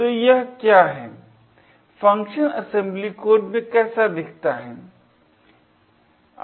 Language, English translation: Hindi, So, this is what, how the main function looks like in assembly code